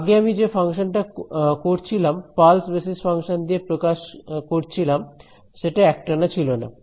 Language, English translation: Bengali, Earlier my function that I was doing expressing using pulse basis function was discontinuous